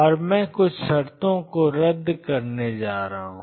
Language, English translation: Hindi, And I am going to cancel a few terms